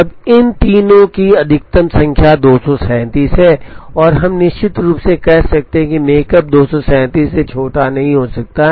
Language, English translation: Hindi, Now, the maximum of these three is 237 and we could say definitely, that the makespan cannot be smaller than 237